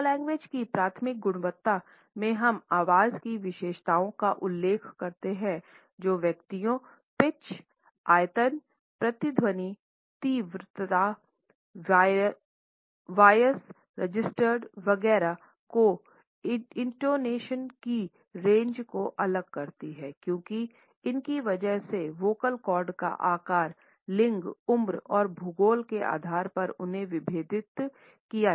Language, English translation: Hindi, In the primary quality of paralanguage we refer to the characteristics of voice that differentiate individuals, the pitch, the volume, the resonance, the intensity or volume the range of the intonation the voice register etcetera these are differentiated because of the size of the vocal cords, they are also differentiated by the gender and also by age and also they are differentiated on the basis of the geography